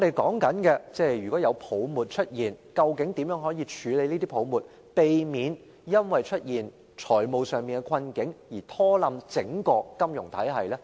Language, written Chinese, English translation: Cantonese, 假如出現泡沫，究竟應如何處理，才可避免因出現財務困境而拖垮整個金融體系？, If a market bubble comes into being what should we do to prevent the financial difficulties of individual companies from causing the collapse of the entire financial system?